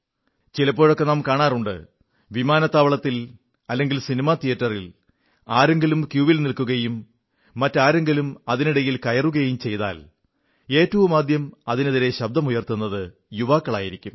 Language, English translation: Malayalam, There are times when we see them at an airport or a cinema theatre; if someone tries to break a queue, the first to react vociferously are these young people